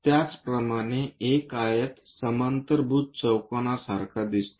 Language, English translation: Marathi, Similarly, a rectangle looks like a parallelogram